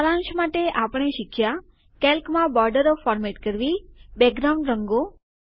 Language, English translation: Gujarati, To summarize, we learned about: Formatting Borders, background colors in Calc